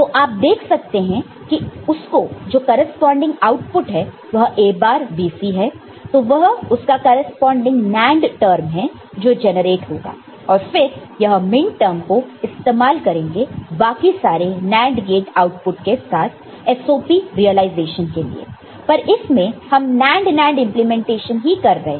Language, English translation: Hindi, So, you see this output here it is A bar B and C, so that is the corresponding NAND term will be generated and then that minterm is finally, again with the other NAND gate outputs, other NAND gate is formed and then you get the same SOP realization, but using NAND NAND implementation, ok